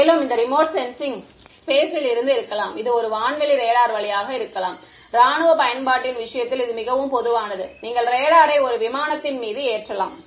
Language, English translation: Tamil, And, this remote sensing could be from space, it could be via an airborne radar as well which is more common in the case of military application, you mount the radar on an aircraft